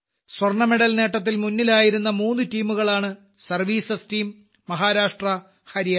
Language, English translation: Malayalam, The three teams that were at the fore in winning the Gold Medal are Services team, Maharashtra and Haryana team